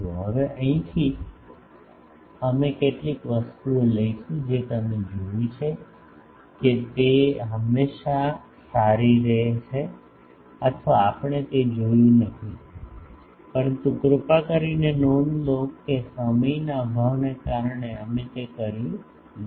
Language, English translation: Gujarati, Now, from here we will take certain things that you have seen that it is always better or we have not seen that, but please note actually due to lack of time we did not do that